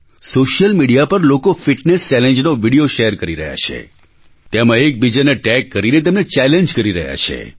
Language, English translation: Gujarati, People are sharing videos of Fitness Challenge on social media; they are tagging each other to spread the challenge